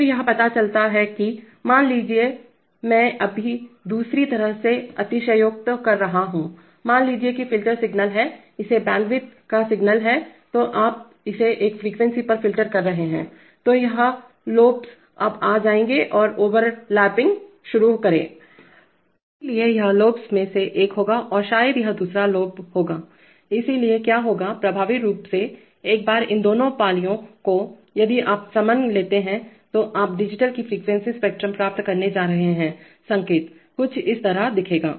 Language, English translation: Hindi, Then it turns out that, suppose you, suppose apart from, suppose now I am just exaggerating the other way, suppose the filter is signal is the signal has this bandwidth then you are filtering it at this frequency then this these lobes will now come and start overlapping, so this will be one of the lobes and probably this will be the other lobe, so what will happen is that, effectively, once these two lobes, if you take summation then you are going to get a frequency spectrum of the digital signal, will look something like this